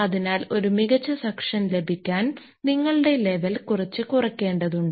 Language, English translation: Malayalam, So, to have a better suction, ah you need some lowering of that your level